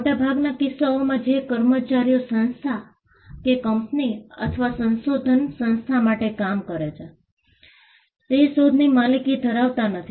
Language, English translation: Gujarati, In most cases, employees who work for an organization, say a company or a research organization, do not own the invention